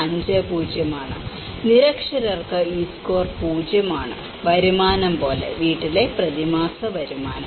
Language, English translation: Malayalam, 50 so, for the illiterate this score is 0, so like that income; household monthly income